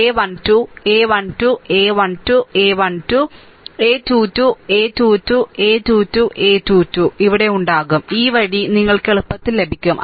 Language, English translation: Malayalam, And a 2 1, a 2 2, a 2 3, a 2 1, a 2 2 you repeat, you make it like this